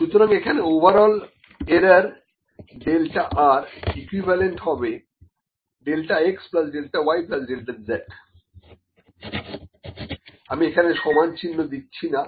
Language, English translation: Bengali, So, here the delta r could be equal to x plus minus delta x or y plus minus delta y over z plus minus delta z